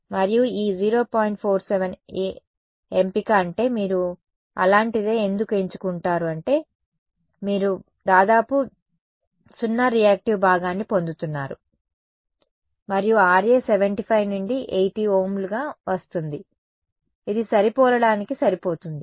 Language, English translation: Telugu, 47 a is I mean why would you choose something like that is because you are getting a reactive part of nearly 0 right and the Ra comes out to be as 75 to 80 Ohms which is easy enough to match in a regular RF circuit